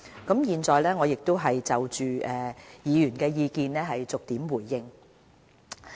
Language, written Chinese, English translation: Cantonese, 我現在就議員的意見逐點作出回應。, I would like to respond to Members views point by point